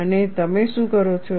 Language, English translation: Gujarati, And what do you do